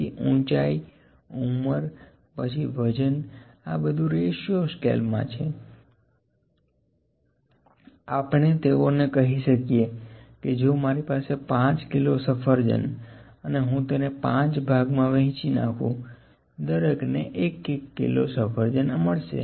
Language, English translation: Gujarati, So, heights, age then weight these all are in ratio scale we can say they if I having 5 kilos of apples if I divide into 5 parts, each one would get 1 kilo of apples